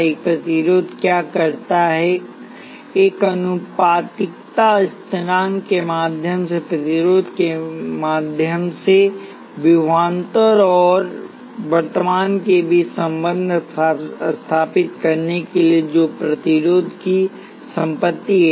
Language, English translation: Hindi, What a resistor does is to establish the relationship between the voltage across the resistor and the current through the resistor through a proportionality constant which is the property of the resistor